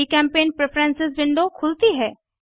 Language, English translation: Hindi, GChemPaint Preferences window opens